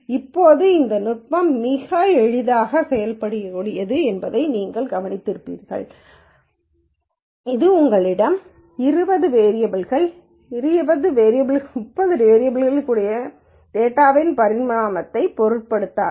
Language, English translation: Tamil, Now, you notice this technique is very very easily implementable it does not matter the dimensionality of the data you could have 20 variables, 30 variables the procedure remains the same